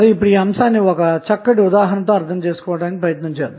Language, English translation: Telugu, Now, let us understand this aspect with the help of an example